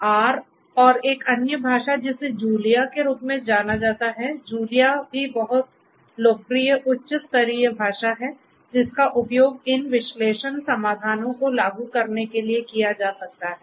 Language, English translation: Hindi, So R and another language which is known as Julia, Julia is also a very popular high level language which could be used for implementing these analytics solutions